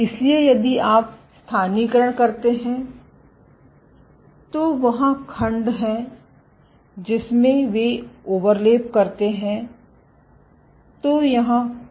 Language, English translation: Hindi, So, if you co localize, so there are segments, in which they overlap there is complete overlap